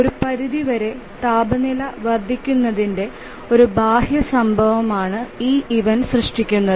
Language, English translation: Malayalam, So, this event is got generated by an external event of temperature increasing to certain extent